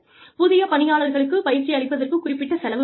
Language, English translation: Tamil, There is some cost involved in training the new employees